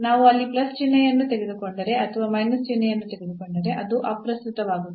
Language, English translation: Kannada, So, does not matter if we take plus sign there or minus sign the value will be the same